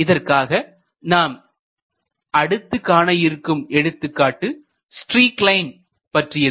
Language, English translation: Tamil, So, we will see the next example that is called as a streak line